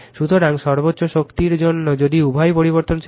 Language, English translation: Bengali, So, for maximum power if both are variable